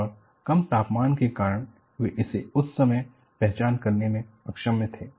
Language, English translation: Hindi, And, because of low temperature, is what they were able to identify at that time